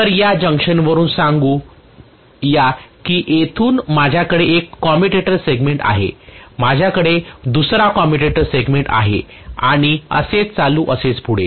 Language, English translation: Marathi, So let us say from this junction I am having one commutator segment from here I am having another commutator segment and so on and so forth